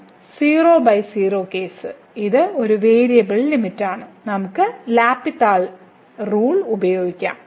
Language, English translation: Malayalam, So, 0 by 0 case this is a one variable limit so, we can use basically L’Hospital